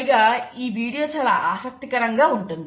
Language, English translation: Telugu, And this is a very interesting video